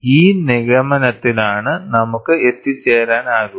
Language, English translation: Malayalam, This is the conclusion that we can arrive at